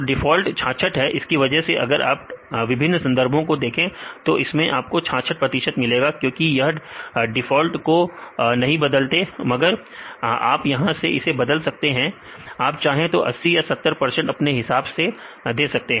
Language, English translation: Hindi, So, the default is 66 this why if you see many papers they uses 66 percent split because they do not change this just use the default values, now this you can change here, if you want to have the say 80 percent or 70 percent